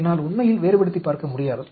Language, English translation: Tamil, I will not be able to really differentiate